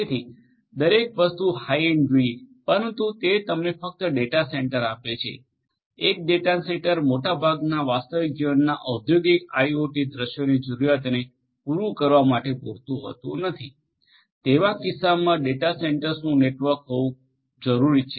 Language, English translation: Gujarati, So, everything has to be high end, but that gives you a data centre only, a single data centre is often not enough to cater to the requirements of most of the real life industrial IoT scenarios, in which case a network of data centres would be required